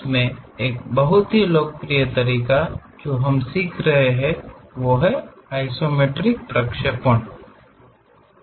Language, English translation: Hindi, In that a very popular method what we are learning is isometric projections